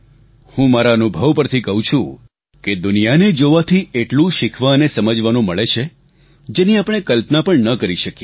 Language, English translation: Gujarati, I can tell you from my experience of going around the world, that the amount we can learn by seeing the world is something we cannot even imagine